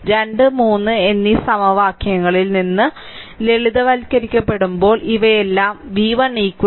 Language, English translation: Malayalam, So, from equation 2 and 3, we will get upon simplification all these things we get v 1 is equal to 1